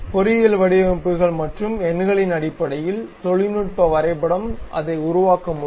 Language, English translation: Tamil, Based on the engineering designs and numbers, the technical drawing one has to construct it